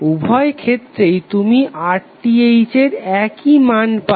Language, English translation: Bengali, In both of the cases you will get the same value of RTh